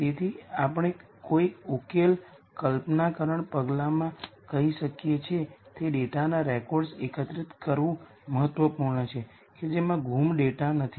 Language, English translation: Gujarati, So, we might say in a solution conceptualization step, it is important to collect records of data which have no missing data